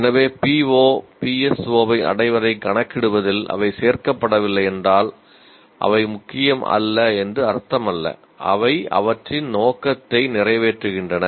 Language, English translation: Tamil, So if they are not included in computing the PO or PSO attainment, it doesn't mean they are not important